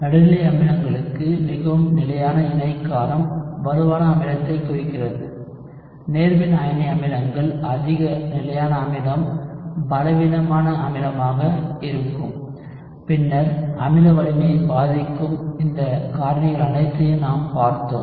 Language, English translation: Tamil, For neutral acids more stable conjugate base implies stronger acid, for cationic acids more stable acid would be the weaker acid and then we had looked at all of these factors which affect acid strength